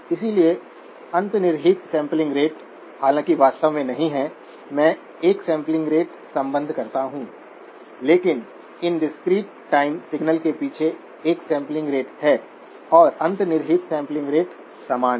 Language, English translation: Hindi, So underlying sampling rate, though we do not really, I associate a sampling rate, but there is a sampling rate behind these discrete time signals and the underlying sampling rate is the same